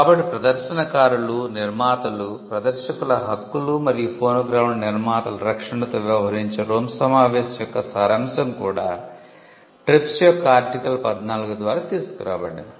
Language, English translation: Telugu, So, the gist of the Rome convention which dealt with protection of performers, producers, rights of performers and producers of phonograms was also brought in through Article 14 of the TRIPS